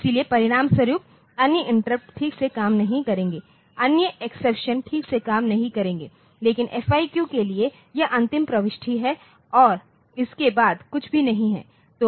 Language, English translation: Hindi, So, as a result other interrupts will not work properly other exceptions will not work properly, but for FIQ this is the last entry and there is nothing after this